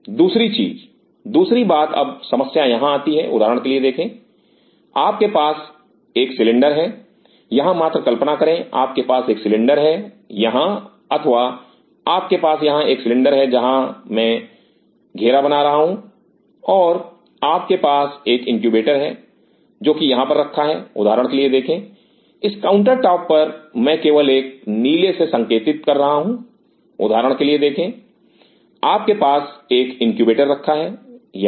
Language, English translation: Hindi, Second thing, second thing now the problem comes here see for example, you have a cylinder here just try to imagine you have a cylinder here or you have a cylinder here, the places I am circling and you have a incubator which is sitting here see for example, on this counter top I am just putting in a blue see for example, you have a incubator setting here